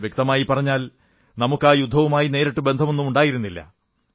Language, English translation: Malayalam, Rightly speaking we had no direct connection with that war